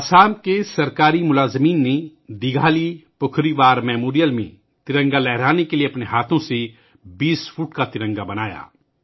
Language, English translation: Urdu, In Assam, government employees created a 20 feet tricolor with their own hands to hoist at the Dighalipukhuri War memorial